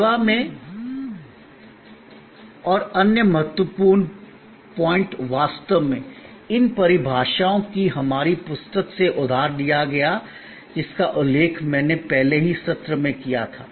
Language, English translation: Hindi, The other important point in service and this by the way is actually, these definitions are borrowed from our book, which I had already mentioned in the earlier session